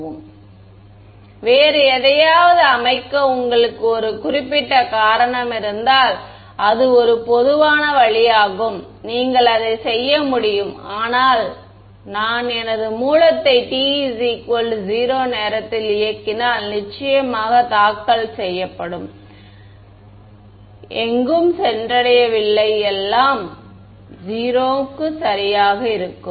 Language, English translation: Tamil, I mean that is a typical way they may if you have a specific reason to set it to something else you could do that, but if my I am turning my source on at time t is equal to 0 right then of course, filed has not reached anywhere I will set everything will be 0 right